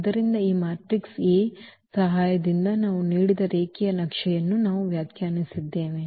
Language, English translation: Kannada, So, the given linear map we have defined with the help of this matrix A